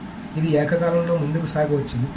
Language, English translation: Telugu, So can they go ahead concurrently